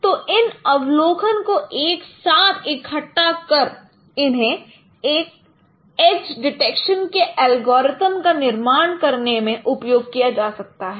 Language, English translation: Hindi, So these four observations can be combined together and can be used in developing an algorithm of age detections